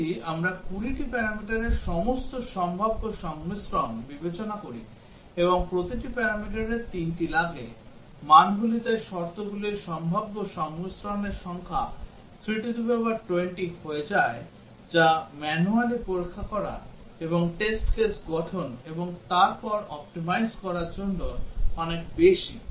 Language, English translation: Bengali, If we consider all possible combinations of 20 parameters, and each parameter takes three, values so the number of possible combinations of the conditions becomes 3 to the power 20 which is just too many to handle manually and to form the test cases and then to optimize